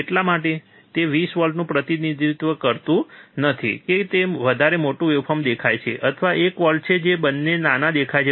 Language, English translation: Gujarati, That is why it does not represent that 20 volts is it looks bigger waveform or one volts which smaller both look same